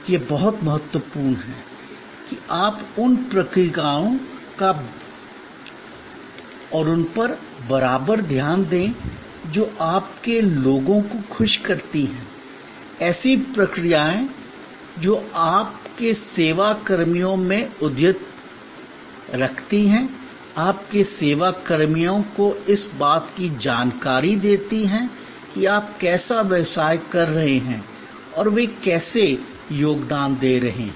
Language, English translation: Hindi, It is very important that you pay equal attention to the processes that make your people happy, processes that keep your service personnel up to date, keep your service personnel informed about how you are business is doing and how they are contributing